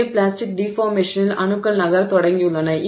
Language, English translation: Tamil, Okay, so in plastic deformation, atoms have begun to move